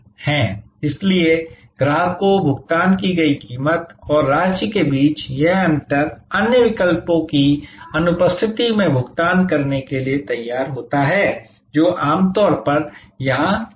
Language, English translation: Hindi, So, that this difference between the price paid and amount the customer would have been willing to pay in absence of other options this usually is somewhere here